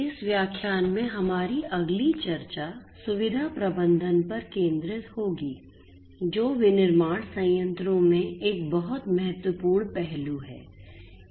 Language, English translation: Hindi, Our next discussion in this lecture will focus on facility management, which is a very important aspect in manufacturing plants